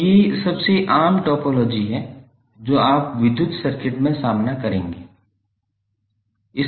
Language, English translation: Hindi, So these are the most common topologies you will encounter in the electrical circuits